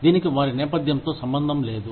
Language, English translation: Telugu, It had nothing to do with their background